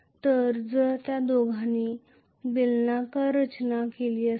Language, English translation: Marathi, So, if both of them have cylindrical structure